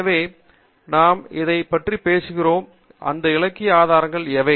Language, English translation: Tamil, So, what are these literature sources that we are talking about